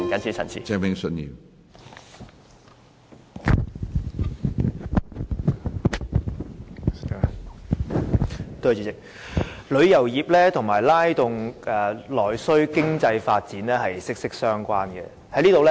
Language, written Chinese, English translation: Cantonese, 主席，旅遊業與拉動內需、經濟發展是息息相關的。, President the tourism industry is closely related to the stimulation of internal demand and economic development